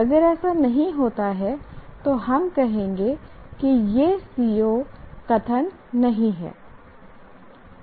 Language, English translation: Hindi, If it doesn't, then we will say it is not a CO statement